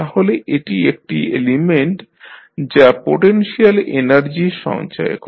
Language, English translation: Bengali, So, it is considered to be an element that stores potential energy